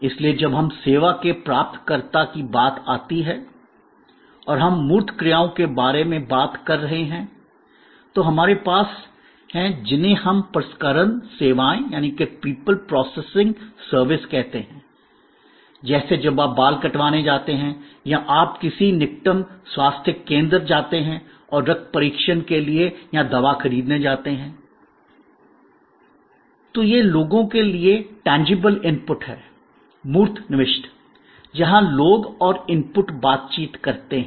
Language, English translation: Hindi, So, when it comes to people as recipient of service and we are talking about tangible actions, then we have what we call people processing services like when you go for a hair cut or you go and visit the nearest health centre for some blood test or some pharmaceutical procurement